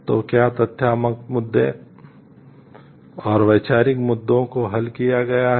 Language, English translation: Hindi, So, what is the factual issues and conceptual issues have resolved